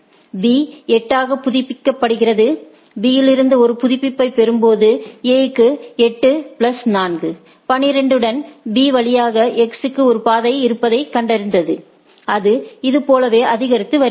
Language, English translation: Tamil, B updates as 8 right, getting a update from the B, A finds that there is a path to X via B right with a 8 plus 4 12 and it goes on increasing like this right